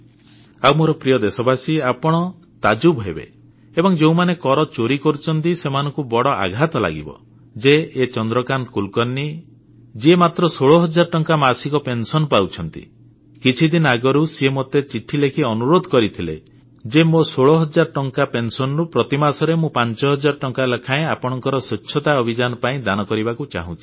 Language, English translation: Odia, And my dear countrymen, you will be surprised to hear, and those who are in the habit of evading tax will get a shock to know that Chandrakant Kulkarni Ji, who gets a pension of only rupees sixteen thousand, some time back wrote a letter to me saying that out of his pension of 16,000, he voluntarily wants to donate Rs